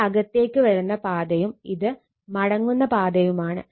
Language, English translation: Malayalam, This is incoming path; this is return path